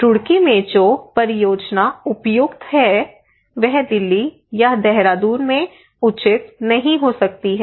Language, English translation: Hindi, The project that is appropriate in Roorkee may not be appropriate in Delhi, may not be appropriate in Dehradun